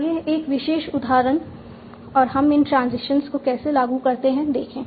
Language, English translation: Hindi, Let us see a particular example and how do we apply these transitions